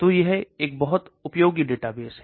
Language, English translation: Hindi, So this is a very useful database